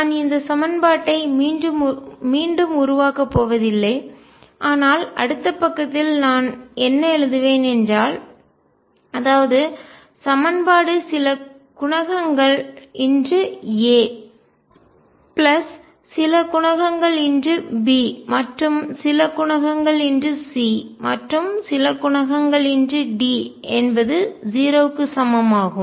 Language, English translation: Tamil, I am not going to reproduce this equation, but what I will right on the next page is that what I have the found the equation is some coefficient times A plus some coefficient times B plus some coefficient times C plus some coefficient times D equals 0